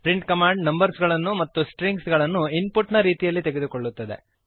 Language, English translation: Kannada, print command, takes numbers and strings as input